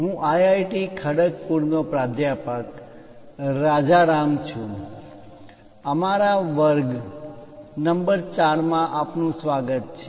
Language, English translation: Gujarati, I am Rajaram from IIT Kharagpur, welcome to our lecture number 4